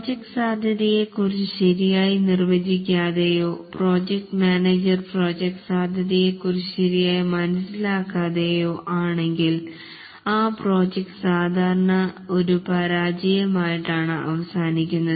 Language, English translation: Malayalam, Unless the project scope is properly defined and the project manager is clear about the project scope, the project typically ends up in a failure